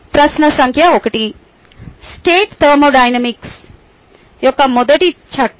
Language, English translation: Telugu, question number one: state first law of thermodynamics